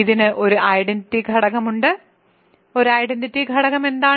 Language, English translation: Malayalam, It has, there is an identity element, what is an identity element